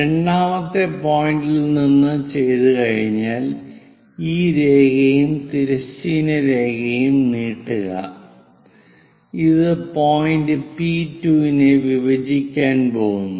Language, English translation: Malayalam, Once it is done from second, extend a line and a horizontal line where it is going to intersect locate point P2